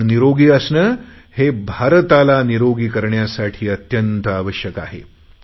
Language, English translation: Marathi, Your staying healthy is very important to make India healthy